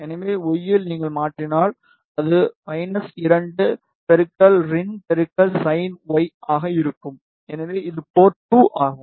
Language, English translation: Tamil, So, in y if you transform, it will be minus 2 into rin into sin y, so this is port 2